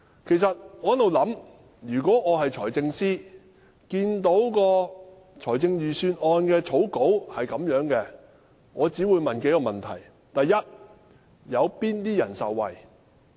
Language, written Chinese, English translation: Cantonese, 我一直在想，如果我是財政司司長，看到預算案的草稿，我只會問數個問題：第一，有哪些人受惠？, It is indeed unprecedented . I have been thinking if I were the Financial Secretary I would have asked a few questions when I saw the draft Budget First who will benefit from it?